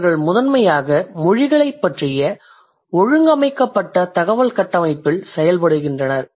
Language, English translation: Tamil, They primarily work on an organized body of information about language